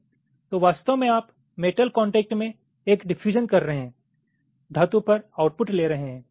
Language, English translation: Hindi, so actually you are doing a diffusion to metal contact, diffusion to metal contact and taking the output on metal